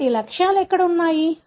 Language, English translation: Telugu, So, where are the targets